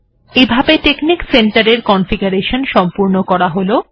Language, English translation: Bengali, Alright, now texnic center is configured